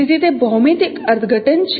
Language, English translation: Gujarati, So that is a geometric interpretation